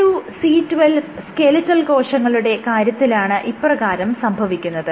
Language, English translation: Malayalam, So, this is of C2C12 cells, which is skeletal muscle cells